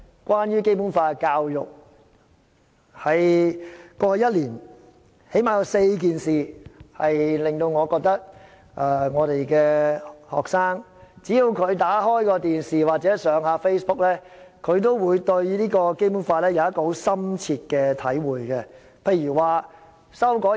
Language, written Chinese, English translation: Cantonese, 關於《基本法》的教育，在過去一年最少發生了4件事，只要學生扭開電視機或瀏覽 Facebook， 便會對《基本法》產生深切體會。, At least four incidents which took place last year can serve as Basic Law education . As long as students turn on the television or browse through Facebook they will get a deep feeling of the Basic Law